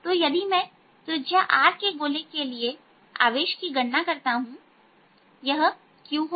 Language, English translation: Hindi, so if i calculate the charge in a sphere of radius r, this is going to be q, let's call it q